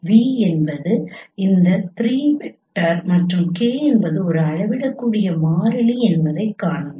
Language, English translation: Tamil, See v is any three vector and k is a scalar constant